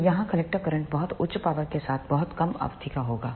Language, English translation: Hindi, So, here the character current will be of very less duration with very high power